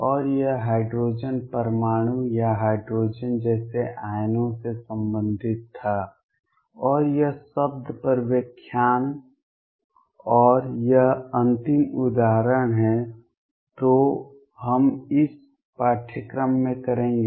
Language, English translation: Hindi, And this was related to hydrogen atom or hydrogen like ions, and this lecture on word and this is the final example that we will be doing in this course